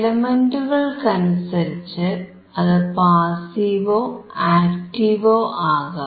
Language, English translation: Malayalam, Depending on the element, it can be passive or active filter